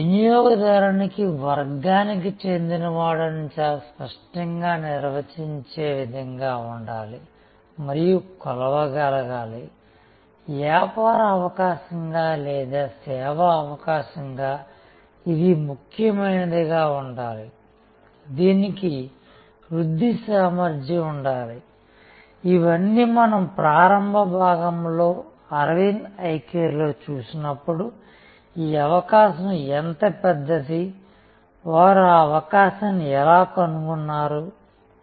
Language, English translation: Telugu, A customer segment should be very clearly definable, should be measurable, it should have the, as a business opportunity or as a service opportunity it should be significant, it should have growth potential and all these we saw when we in the initial part of the Aravind Eye Care description that how big is this opportunity and how they tracked the opportunity and what was required